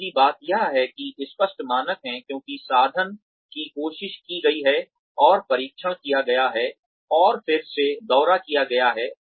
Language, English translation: Hindi, The second thing is, there are clearers standards, because, the instrument has been tried, and tested, and re visited